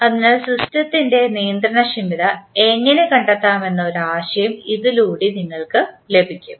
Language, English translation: Malayalam, So, with this you can get an idea that how to find the controllability of the system